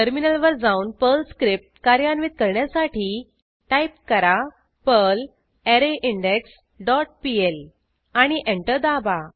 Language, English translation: Marathi, Now switch to terminal and execute the Perl script Type perl arrayIndex dot pl and press Enter